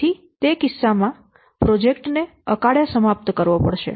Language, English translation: Gujarati, So in that case, the project has to be prematurely terminated